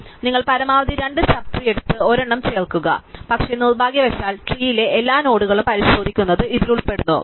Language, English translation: Malayalam, So, you take the maximum of the two sub trees and add one, but this unfortunately involves examining every node in the tree